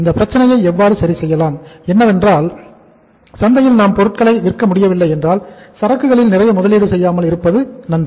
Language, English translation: Tamil, To deal with the problem if we are not able to sell in the market better it is not to make much investment in the inventory